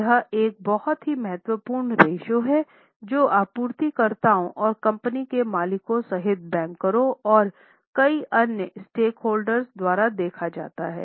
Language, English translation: Hindi, This is a very important ratio which is seen by bankers and many other stakeholders including suppliers and also the owners of the company